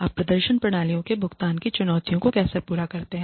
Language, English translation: Hindi, How do you meet the challenges of pay for performance systems